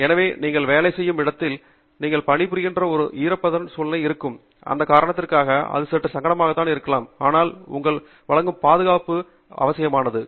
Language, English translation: Tamil, So, based on where you are working, if itÕs a humid environment you are working in, it may tend to become slightly uncomfortable for that reason, but the safety that it provides to you is indispensable